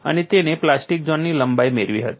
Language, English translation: Gujarati, How we have utilized the plastic zone length